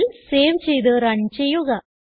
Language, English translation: Malayalam, Now Save and run the file